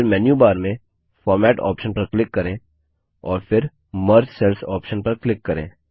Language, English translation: Hindi, Next click on the Format option in the menu bar and then click on the Merge Cells option